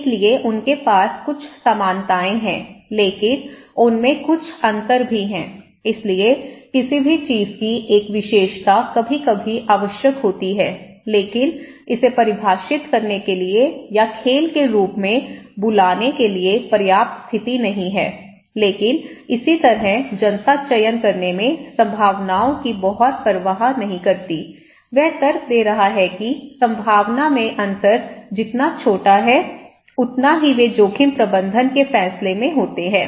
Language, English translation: Hindi, So one; so they have some similarities but they have also some differences so, one single feature of anything is maybe sometimes necessary but not sufficient condition to define or to call it as game, okay but similarly the public does not care much about the probabilities in choosing between two course of action, he is arguing when the difference in probability are as small as they are in most of the risk management decisions